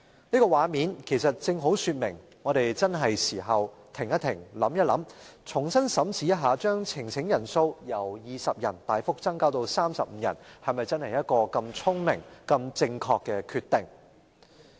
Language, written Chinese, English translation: Cantonese, 這個畫面正好說明，我們確實需要在此時此刻停一停，想一想，重新審視把呈請人數門檻由20人大幅增至35人，是否真的是個聰明且正確的決定。, This scene precisely illustrates that we really have to pause think and re - examine whether or not the decision to raise the threshold for the presentation of a petition significantly from 20 people to 35 people is really wise and correct